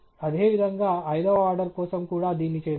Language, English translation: Telugu, And similarly, let’s do this for the fifth order as well